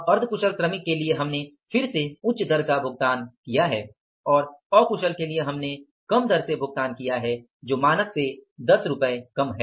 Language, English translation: Hindi, Semi skilled we have again paid the higher rate and for the unskilled we have paid the lesser rate by 10 rupees